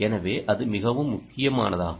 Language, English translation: Tamil, so that is a very critical